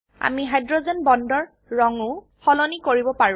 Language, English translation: Assamese, We can also change the color of hydrogen bonds